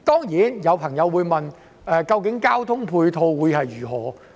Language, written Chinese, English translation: Cantonese, 有朋友會問，交通配套方面如何？, Some people may also ask about the ancillary transport facilities